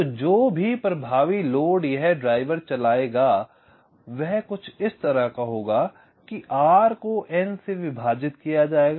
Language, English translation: Hindi, so the effective load that this driver will be driving will be this will be r divide by n